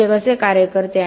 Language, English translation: Marathi, And how does that work